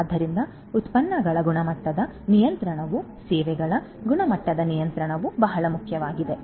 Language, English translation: Kannada, So, quality control of the products quality control of the services is what is very very important